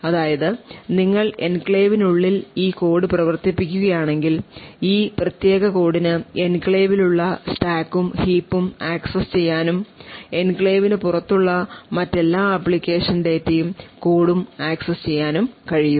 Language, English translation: Malayalam, However, the vice versa is true now if you are running code within the enclave this particular code will be able to access the stack and heap present in the enclave as well as all the other application data and code present outside the enclave as well